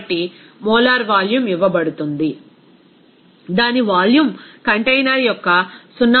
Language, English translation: Telugu, So, molar volume is coming that its volume is given is 0